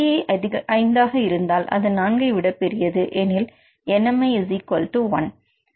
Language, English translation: Tamil, If a if nci equal to 5 then its greater than four in this case nmi equal to 1